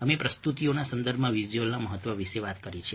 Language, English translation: Gujarati, we have talked about the significance of ah visuals in the context of presentations